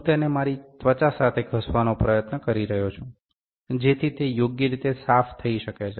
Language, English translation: Gujarati, I am trying to rub it with my skin, so that it is clean properly